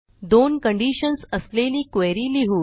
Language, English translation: Marathi, Let us write a query with two conditions